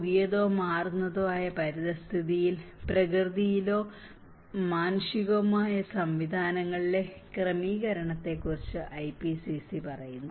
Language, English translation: Malayalam, The IPCC tells about the adjustment in natural or human systems to a new or changing environment